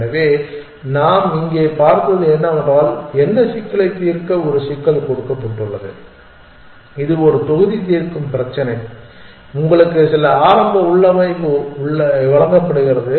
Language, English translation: Tamil, So, what we have seen here is that given a problem to solve what is the problem it is a block solve problem, you are given some initial configuration